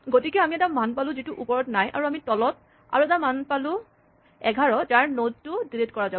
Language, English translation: Assamese, So, we have a value which is missing at the top and we have a value at the bottom namely 11 whose node is going to be deleted